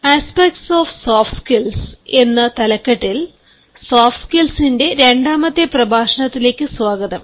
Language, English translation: Malayalam, welcome to the second lecture of soft skills, entitled aspects of soft skills